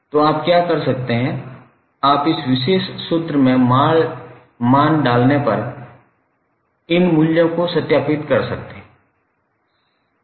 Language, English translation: Hindi, So what you can do, you can verify these values by putting values in this particular original formula